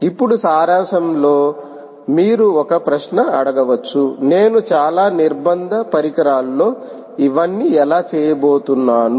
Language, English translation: Telugu, now, in summary, you may now ask a question: how am i going to pull off all this on very constrained devices